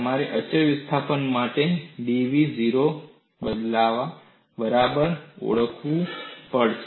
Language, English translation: Gujarati, You have to recognize, for constant displacement, dv equal to 0